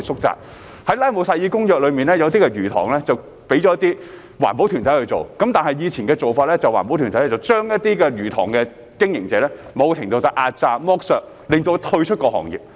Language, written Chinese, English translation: Cantonese, 在《拉姆薩爾公約》下，部分魚塘交由環保團體去做，但以前的做法是環保團體對一些魚塘經營者進行某程度的壓榨、剝削，令其退出行業。, Under the Ramsar Convention some fish ponds have been handed over to environmental groups but in the past these groups to a certain extent suppressed and exploited some fish pond operators causing them to leave the industry